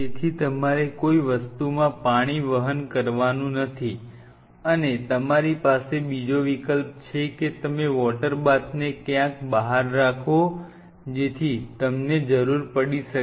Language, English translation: Gujarati, So, you do not want to carry water in something and go and in on it or you have other option is that you keep a water bath somewhere out here outside you may need one